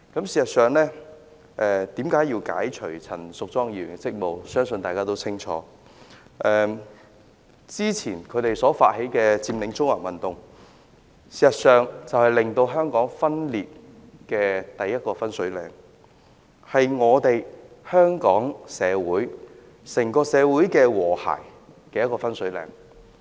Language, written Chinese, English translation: Cantonese, 事實上，為何要解除陳淑莊議員的職務，相信大家也清楚，之前他們發起佔領中環的運動，便是令香港分裂的第一個分水嶺，是毀壞香港整個社會和諧的分水嶺。, I believe we all know very clearly why Ms Tanya CHANs duty as a Member should be relieved . The Occupy Central movement they advocated has marked the watershed in the social division and the damage caused to social harmony in Hong Kong